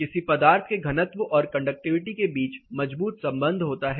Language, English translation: Hindi, There is a strong relation between density of a material and conductivity of a material